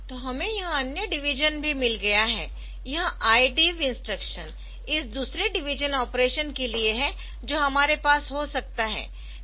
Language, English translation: Hindi, So, we have got this other division also, this I DIV is instruction for this another division operands operation that we can have there